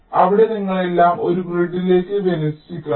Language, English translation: Malayalam, so there you have to align everything to a grid